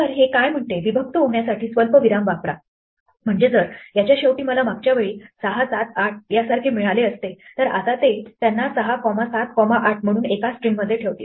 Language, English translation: Marathi, So what this says is, use comma to separate so if at the end of this I had got like last time 6, 7 and 8, then this will now put them back as 6 comma 7 comma 8 into a single string